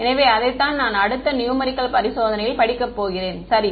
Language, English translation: Tamil, So, that is what I am going to study in the next numerical experiment all right yeah ok